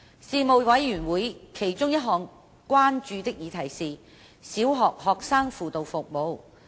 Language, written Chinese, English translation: Cantonese, 事務委員會其中一項關注的議題是小學學生輔導服務。, One of the items of concern of the Panel was student guidance services in primary schools